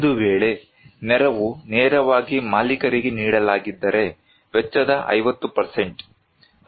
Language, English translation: Kannada, In case that assistance will be given directly to the owners, 50 % of the cost